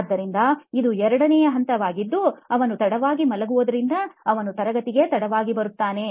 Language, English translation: Kannada, So this is the level 2 where he is late to go to sleep and he is late to class